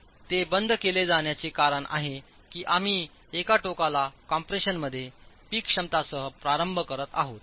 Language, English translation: Marathi, The reason why it is capped off is because we are starting off with a peak capacity on a peak capacity in compression on one end